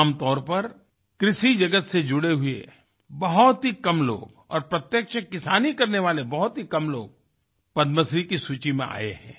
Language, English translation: Hindi, Generally, very few people associated with the agricultural world or those very few who can be labeled as real farmers have ever found their name in the list of Padmashree awards